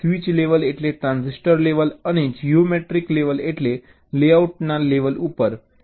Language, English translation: Gujarati, switch level means transitor level and geometric level means at the level of the layouts